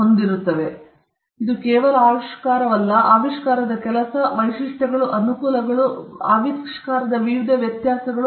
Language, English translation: Kannada, And it is not just the invention, the working of the invention, the features of the inventions, the advantages, the various variations in the invention